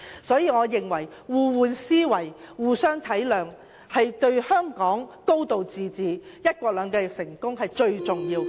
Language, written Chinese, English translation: Cantonese, 所以，我認為互換思維、互相體諒，對香港成功落實"高度自治"和"一國兩制"最為重要。, Thus I think mutual accommodation and understanding is the key to the successful implementation of one country two systems